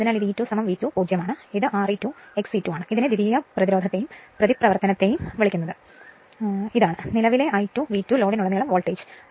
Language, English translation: Malayalam, So, this is E 2 is equal to V 2 0 and this is R e 2 X e 2 your what you call that your secondary resistance and reactance this is the current I 2 and V 2 is the voltage across the load right